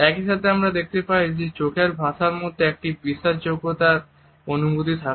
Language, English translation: Bengali, At the same time we find that eyes communicate is certain sense of trustworthiness